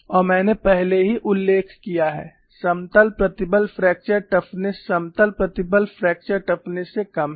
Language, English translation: Hindi, And I have already mentioned, the plane strain fracture toughness is lower than the plane stress fracture toughness